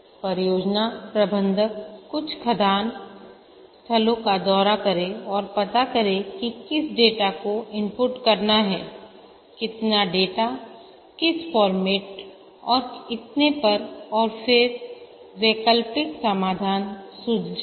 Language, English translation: Hindi, So the project manager visits some mindsites, finds out what data to be input, how many data, what format, and so on, and then suggests alternate solutions